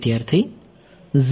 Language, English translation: Gujarati, That is 0